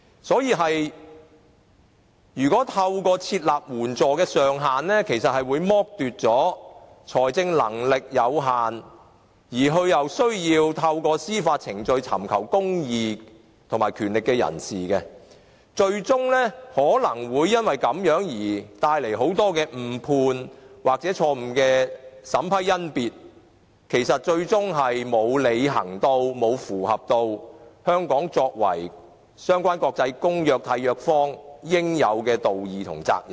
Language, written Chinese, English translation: Cantonese, 所以，如果透過設立援助上限，其實會剝奪了財政能力有限而又需要透過司法程序尋求公義的人士，更有可能因而帶來很多誤判或錯誤的審批甄別，最終令香港不能履行作為相關的國際公約的締約方應有的道義及責任。, Therefore if we limit the ceiling for legal aid we will actually deprive the rights of people who have limited financial means but have the need to seek access to justice through legal process . Besides it is even possible to cause errors of judgment or erroneous examination and screening resulting in preventing Hong Kong from fulfilling the moral obligations and responsibilities as a contracting party of the relevant convention